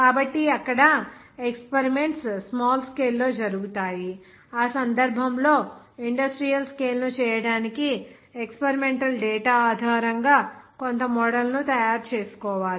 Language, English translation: Telugu, So, there, experiments are carried out on a small scale so in that case, to make it that industrial scale you have to make some model based on the experimental data